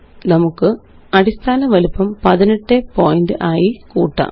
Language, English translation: Malayalam, Let us increase the Base size to 18 point